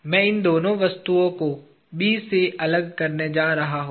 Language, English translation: Hindi, I am going to separate these two objects at B